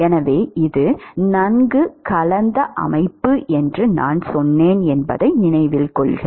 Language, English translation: Tamil, So, note that I said it is a well mixed system